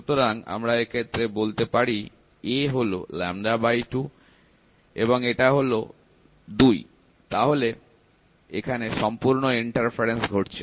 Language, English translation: Bengali, So, if we say this, a is lambda by 2, and this is 3 lambda by 2, then we have total interference happening